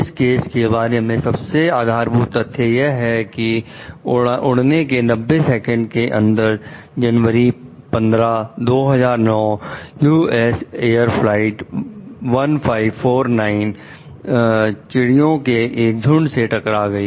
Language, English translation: Hindi, The basic facts of the case are that within 90 seconds after takeoff on January 15, 2009, US Air Flight 1549 collided with a flock of birds